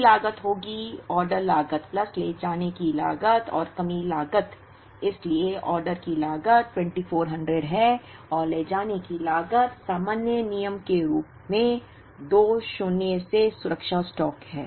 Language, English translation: Hindi, So, total cost will be, order cost plus carrying cost plus shortage cost so order cost is 2400 plus carrying cost is Q by 2 minus safety stock as a general rule